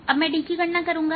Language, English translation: Hindi, now i will calculate d